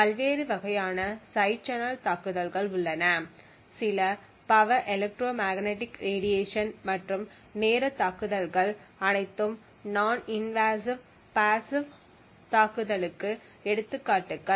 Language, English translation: Tamil, There are different types of side channel attacks some are non invasive like the power electromagnetic radiation and the timing attacks are all examples of non invasive passive attacks